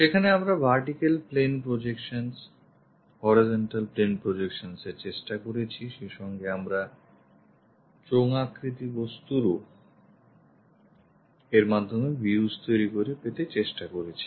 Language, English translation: Bengali, There we try to construct different views like vertical plane projections, horizontal plane projections and also, we tried to have feeling for cylindrical objects, the views created by that